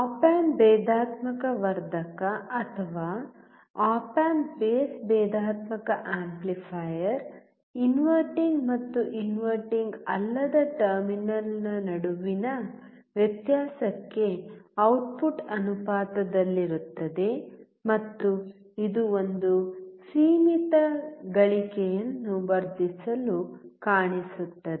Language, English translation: Kannada, An op amp differential amplifier or op amp base differential amplifier gives an output proportional to the difference between the inverting and non inverting terminal and it will gain, it will amplify with a finite gain